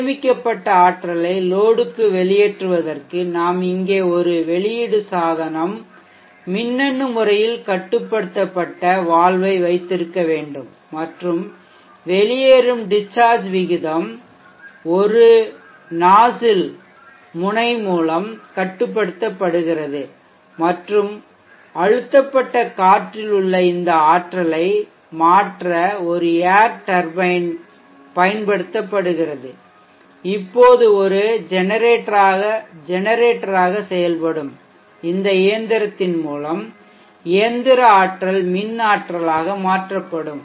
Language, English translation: Tamil, In order to discharge the stored energy into the load we need to have an outlet an electronically controlled valve here and the Discharge rate of the exit is controlled by a nozzle and an air turbine is used to convert this energy in the compressed air to mechanical energy in the mechanical energy to the electrical energy through the machine which now acts as a generator, so that would be the discharge mode